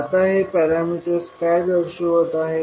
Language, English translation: Marathi, Now, what these parameters are representing